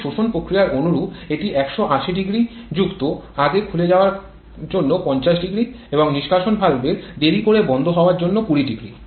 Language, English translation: Bengali, But similar to the suction process it will cover 1800 plus the amount of early opening which is 500 and also this is the early closing of the exhaust valve which is 200